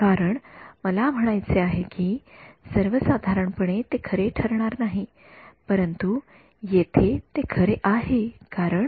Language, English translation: Marathi, Because, I mean in general that will not be true, but here it is true because